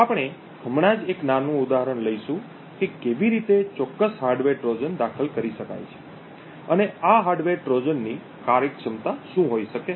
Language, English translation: Gujarati, So, we will just take a small example of how a specific hardware Trojan can be inserted and what the functionality of this hardware Trojan could be